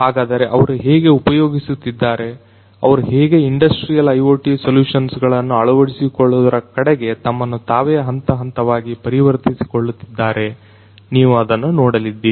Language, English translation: Kannada, So, you know how they are using, how they are transforming themselves gradually gradually towards the adoption of industrial IoT solutions you are going to see that